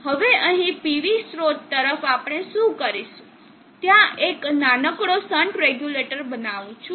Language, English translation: Gujarati, Now here across the PV source what we will do is build a small shunt regulator